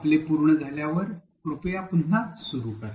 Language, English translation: Marathi, When you are done, please resume